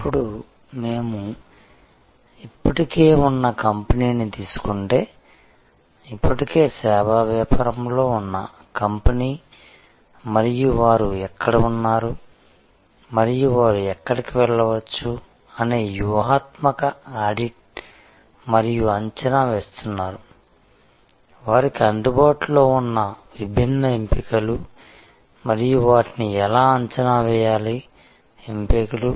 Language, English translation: Telugu, Now, if we take an existing company, a company which is already in the service business and is doing a strategic audit and assessment of where they are and where they can go, which are the different options available to them and how to evaluate those options